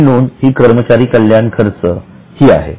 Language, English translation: Marathi, The next item is employee benefit expenses